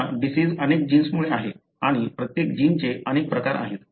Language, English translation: Marathi, Your disease is because of multiple genes and each gene has got multiple variants